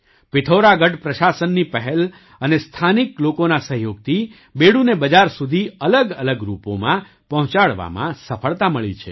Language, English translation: Gujarati, With the initiative of the Pithoragarh administration and the cooperation of the local people, it has been successful in bringing Bedu to the market in different forms